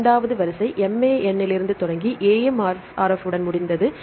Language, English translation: Tamil, The second sequence started from ‘MAN’ and ended with this ‘AMRF’